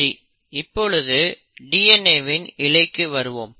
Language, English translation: Tamil, Now let us come back to this DNA strand